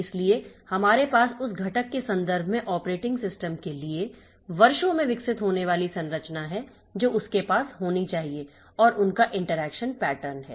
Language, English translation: Hindi, So, now we have the over the years, the structure has evolved for the operating system in terms of the components that it should have and their interaction pattern